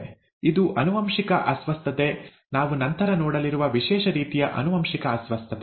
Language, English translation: Kannada, That is an inherited disorder; a special type of inherited disorder as we will see later